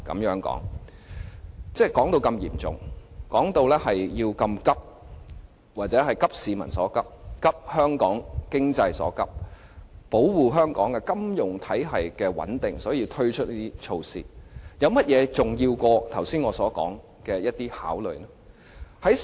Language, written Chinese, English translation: Cantonese, 政府把問題說得如此嚴重和迫切，因此應"急市民所急"、"急香港經濟所急"、為保護香港金融體系穩定而要推出"加辣"措施，有甚麼比我剛才所說的那些考慮因素更重要呢？, Since the Government has depicted the problem to be so serious and urgent it should in order to address the publics pressing concerns as well as the pressing concerns of the local economy introduce the enhanced curb measure to protect the stability of Hong Kongs financial system . What is more important than the above mentioned factors for consideration?